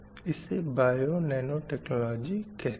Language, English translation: Hindi, So this is called us bio nano technology